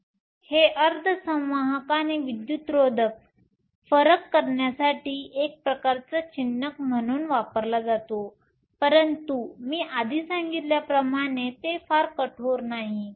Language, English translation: Marathi, So, this is used as a sort of marker for differentiating semiconductors and insulators, but as I mentioned earlier, it is not very strict